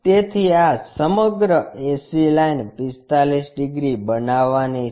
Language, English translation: Gujarati, So, this entire ac line supposed to make 45 degrees